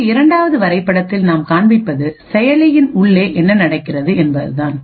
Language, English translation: Tamil, In the second figure what we show is what happens inside the processor